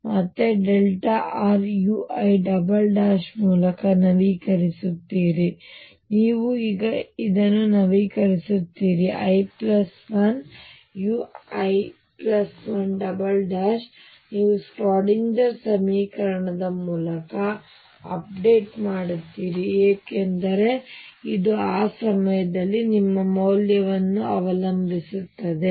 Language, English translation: Kannada, You again update by delta r u I double prime and you now update this is i plus 1 u i plus 1 double prime you update through the Schrödinger equation, because this depends on the value of u at that point